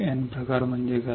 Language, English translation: Marathi, N type is what